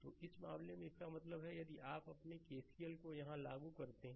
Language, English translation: Hindi, So, in this case; that means, if you apply if you apply your KCL here